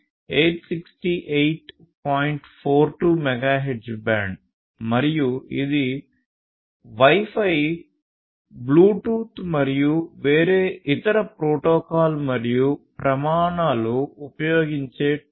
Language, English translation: Telugu, 4 Gigahertz band that is used by Wi Fi, Bluetooth and different other protocols and standards